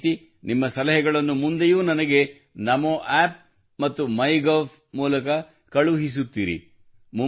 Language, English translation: Kannada, Similarly, keep sending me your suggestions in future also through Namo App and MyGov